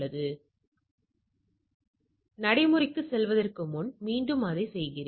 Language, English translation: Tamil, So, just to before going to the procedure let me just repeat it